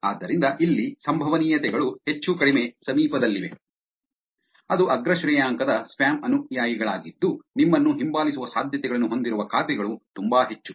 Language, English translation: Kannada, So, here the probabilities is almost close to one which is the top ranked spam followers which is the accounts which are having the chances of following you back is very high